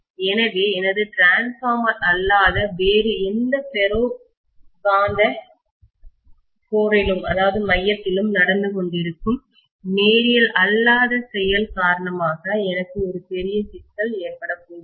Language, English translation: Tamil, So I am going to have a big problem because of the nonlinear behavior that is happening in my transformer or any other ferromagnetic core